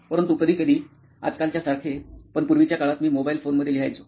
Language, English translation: Marathi, But sometimes like in nowadays, but in earlier days I used to write in mobile phones